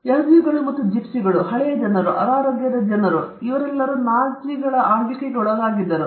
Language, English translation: Kannada, Jews and the gypsies, and old people, the sick people all of them suffered immensely under the rule of the Nazis